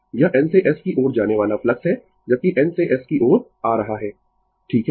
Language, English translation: Hindi, It is the flux moving from N to S while coming from N to S right